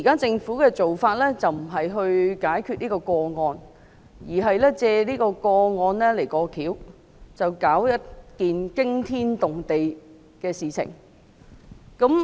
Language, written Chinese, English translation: Cantonese, 政府現時的做法，並非旨在解決這宗個案，而是藉這宗個案"過橋"，發起一件驚天動地的事情。, Now the Government is taking a move . However rather than solving the case the Government is exploiting it to rock the world